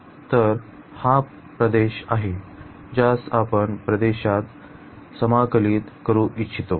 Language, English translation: Marathi, So, this is the region which we want to integrate over this region